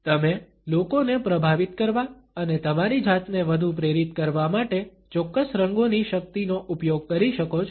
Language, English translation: Gujarati, You can use the power of certain colors to influence people and make yourself more persuasive